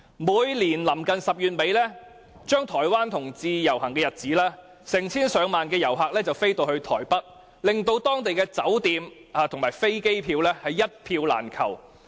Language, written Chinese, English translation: Cantonese, 每年臨近10月底台灣同志遊行的日子，成千上萬的旅客會飛到台北，令當地酒店爆滿，往台北的飛機票更是一票難求。, The parade has now become the biggest LGBT event in all Chinese communities . Each year around the end of October when the Taiwan LGBT parade is held tens of thousands of visitors will fly to Taipei . The hotels are fully occupied and it is hard to get an air ticket to Taipei